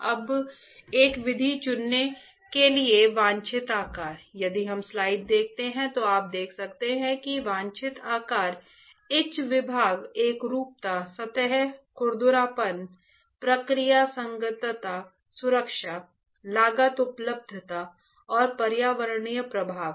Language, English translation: Hindi, Now for choosing a method desired shapes; if we see the slide, you can see that there is a desired shape, etch dept, uniformity, surface roughness, process compatibility, safety, cost availability and environmental impact